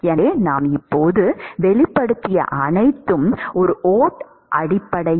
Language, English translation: Tamil, So, everything we have now expressed in terms of a ode